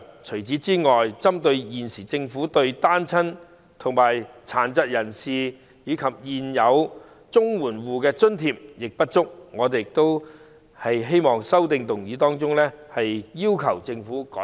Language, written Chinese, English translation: Cantonese, 除此之外，針對現時政府對單親、殘疾人士及現有綜援戶的津貼亦不足，我亦在修正案中要求政府改善。, Besides in respect of the inadequacy of the grants currently provided by the Government for single - parent families people with disabilities and existing CSSA households in my amendment I have also requested the Government to make improvements